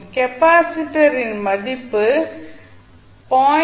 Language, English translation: Tamil, The value of capacitor is 0